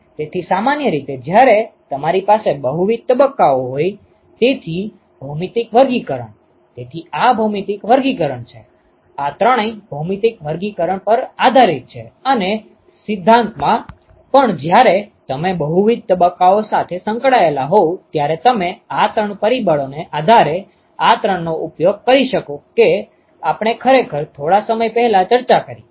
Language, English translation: Gujarati, So, typically when you have multiple phases ok, so, geometric classification: so this is geometry classification these three are based on geometric classification and in principle even when you have multiple phases involved you could use these three depending upon those three factors that we actually discussed a short while ago